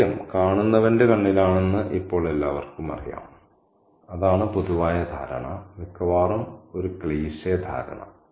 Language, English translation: Malayalam, Now, everybody knows that beauty is in the eye of the beholder, that's the general understanding, a cliched understanding almost